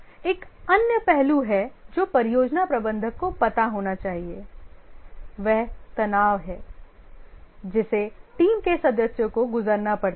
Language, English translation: Hindi, Another aspect which the project manager needs to be aware is the stress that the team members undergo